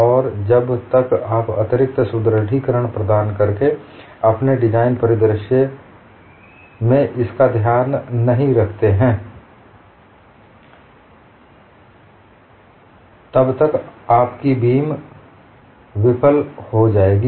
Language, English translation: Hindi, And unless you take care of that in your design scenario by providing extra reinforcements, your beam will fail